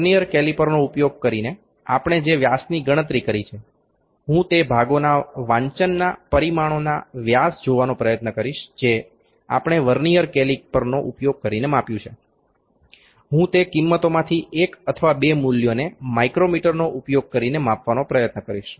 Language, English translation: Gujarati, The diameters that we calculated using Vernier caliper, I will try to see those readings diameters of dimensions of components that we used we measured using Vernier caliper that I will try to see the values or one or two of those values using the micrometers as well